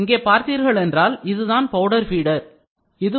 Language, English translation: Tamil, If you look at it, this is a powder feed nozzle